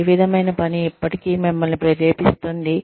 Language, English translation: Telugu, What kind of work is it, that will still motivate you